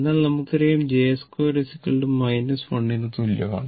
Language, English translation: Malayalam, Actually hence j square is equal to minus 1